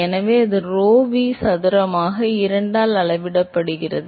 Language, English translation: Tamil, So, that scales as rho V square by 2